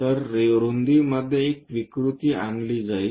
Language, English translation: Marathi, So, a distortion in the width will be introduced